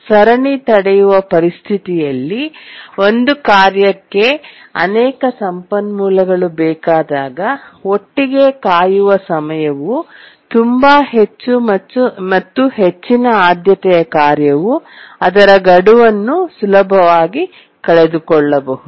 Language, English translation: Kannada, And in the chain blocking situation when a task needs multiple resources, the waiting time altogether can be very high and a high priority task can easily miss the deadline